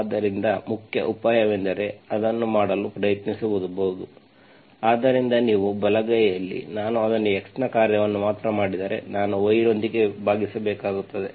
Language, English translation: Kannada, So the main idea is to try to do it, so if you, right hand side, if I make it only function of x, I have to divide with cos square y